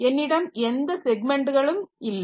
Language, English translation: Tamil, I don't have any segments